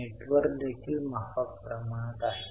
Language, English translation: Marathi, Net worth is also reasonably high